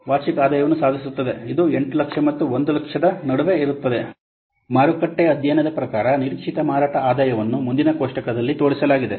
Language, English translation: Kannada, The expected sales as for the market study, the expected sales income as for the market study are shown in the next table like this